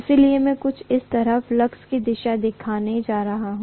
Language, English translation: Hindi, So I am going to show the direction of the flux probably somewhat like this, okay